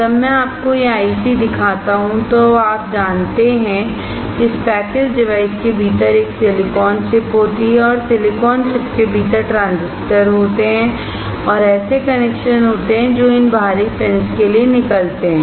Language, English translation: Hindi, when I show you this IC, now you know that within this packaged device there is a silicon chip and within the silicon chip there are transistors and there are connections that comes out to these external pins